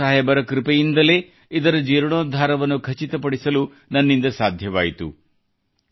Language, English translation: Kannada, It was the blessings of Guru Sahib that I was able to ensure its restoration